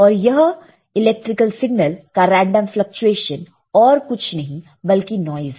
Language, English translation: Hindi, And this random fluctuation of the electrical signal is nothing but your called noise all right